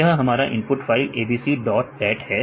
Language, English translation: Hindi, So, here input file is abc dot dat